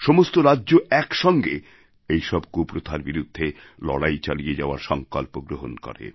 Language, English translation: Bengali, The entire state thus resolved to fight against these social evils